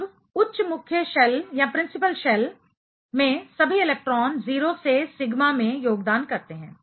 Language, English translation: Hindi, Now, all electrons in higher principal shell contribute 0 to sigma